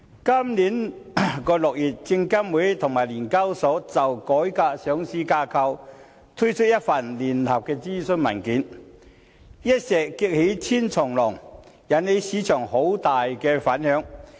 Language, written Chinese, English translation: Cantonese, 今年6月，證監會與聯交所就改革上市架構，推出了一份聯合諮詢文件，一石激起千重浪，引起市場很大的反響。, In June this year the Securities and Futures Commission SFC and The Stock Exchange of Hong Kong Limited SEHK issued a joint consultation paper on reforming the listing structure thus triggering huge reverberations in the market